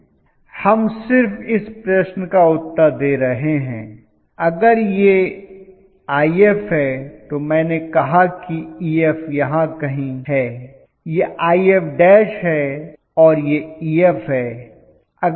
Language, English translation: Hindi, We are just answering that question, okay so if this is IF I said that Ef is somewhere here, Ef is somewhere here, right this is IF dash and this is Ef